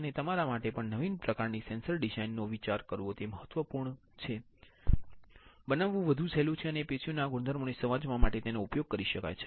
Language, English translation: Gujarati, And, it is really important for you guys also to think a novel kind of sensor design that can be easier to fabricate and can be used for understanding the tissue properties